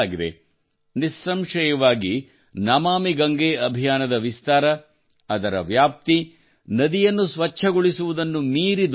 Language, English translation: Kannada, Obviously, the spread of the 'Namami Gange' mission, its scope, has increased much more than the cleaning of the river